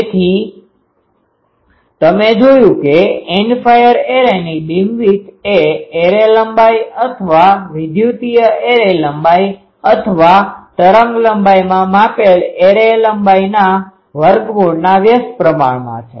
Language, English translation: Gujarati, So, you see that beamwidth of an End fire array is inversely proportional to the square root of the array length, array length, electrical array length or array length measured in wavelength